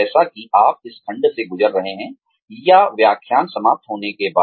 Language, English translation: Hindi, As you are going through this section, or, after the lecture ends